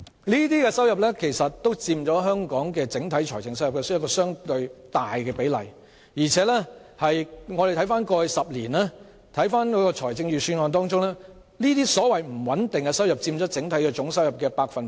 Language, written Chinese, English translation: Cantonese, 這些收入均佔香港整體財政收入相當大的比例，而回顧過去10年的預算案，這些所謂不穩定收入佔整體總收入約三成。, Such revenue accounts for quite a large proportion of the overall fiscal revenue of Hong Kong and in retrospect the budgets over the past decade have shown that the so - called unstable revenue accounted for about 30 % of the total revenue